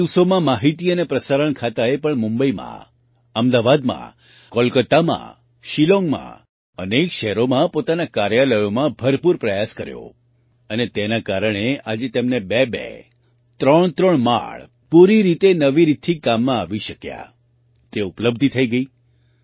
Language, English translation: Gujarati, In the past, even the Ministry of Information and Broadcasting also made a lot of effort in its offices in Mumbai, Ahmedabad, Kolkata, Shillong in many cities and because of that, today they have two, three floors, available completely in usage anew